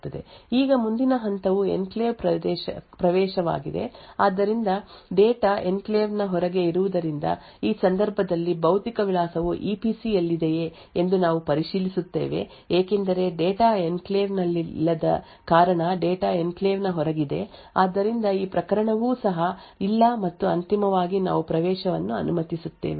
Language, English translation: Kannada, Now the next step is this a enclave access so since the data is outside the enclave so therefore no then we check whether the physical address is in the EPC in this case since the data is not in the enclave the data is outside the enclave therefore this case is too is also no and finally we allow the access